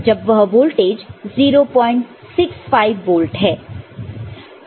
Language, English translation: Hindi, When this voltage is 0